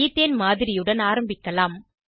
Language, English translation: Tamil, We will begin with a model of Ethane